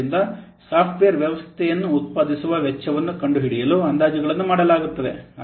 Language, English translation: Kannada, So estimates are made to discover the cost of producing a software system